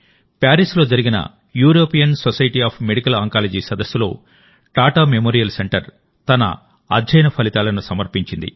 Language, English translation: Telugu, The Tata Memorial Center has presented the results of its study at the European Society of Medical Oncology conference in Paris